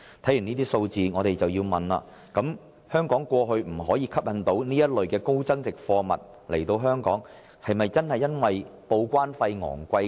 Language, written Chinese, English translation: Cantonese, 看完這些數字，我們不禁要問：香港過去之所以未能吸引這類高增值貨物進口，是否真的因為報關費昂貴？, Having gone through these figures I cannot help but ask Is the imposition of exorbitant TDEC charges the genuine reason for Hong Kongs failing to attract in the past imports of those high value - added goods mentioned above?